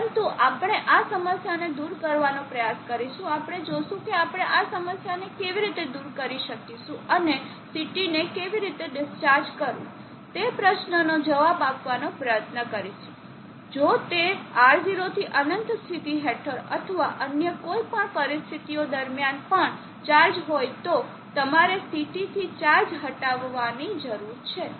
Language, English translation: Gujarati, But we will try to elevate this problem we will see how we can remove this problem and we will try to answer the question how to discharge the CT, if it is over charge under the condition of r0 infinity or even during any other conditions where you need to remove charge from the CT